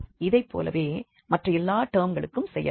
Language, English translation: Tamil, Similarly, we can do for all other terms